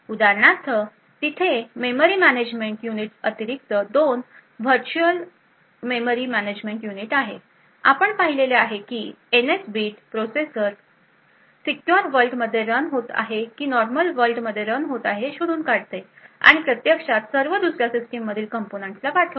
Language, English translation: Marathi, So for example there are two virtual memory management units that are present in addition to the memory management unit which we have seen the NS bit which determines whether the processor is running in secure world or normal world and they actually sent to all other components present in the system